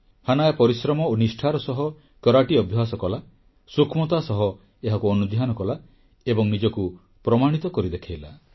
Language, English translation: Odia, Hanaya trained hard in Karate with perseverance & fervor, studied its nuances and proved herself